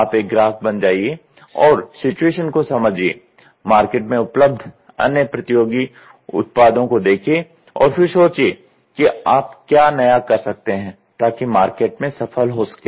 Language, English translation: Hindi, You become a customer, look at the situation, look at the other competitive products around and then you see what new think you can do such that you can flourish into the market